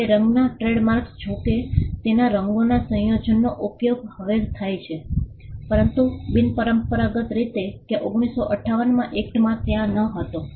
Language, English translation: Gujarati, Now colour trademarks though its combination of colours is now used, but unconventional in the sense that it was not there in the 1958 act